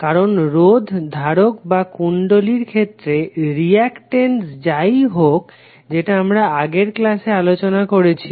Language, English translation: Bengali, Because in case of resistor or capacitor or inductor, whatever the reactance is which we calculated in previous lectures